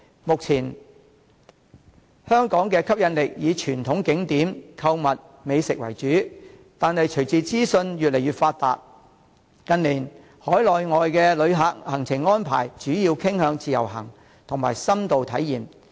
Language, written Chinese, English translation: Cantonese, 目前，香港的吸引力以傳統景點、購物、美食為主，但隨着資訊越來越發達，近年海內外旅客行程安排主要傾向自由行和深度體驗。, At present Hong Kongs major appeal is her traditional scenic spots shopping and cuisines . However with information becoming increasingly accessible visitors inside or outside the country preferred self - planned tours or in - depth travel as their travel itinerary in recent years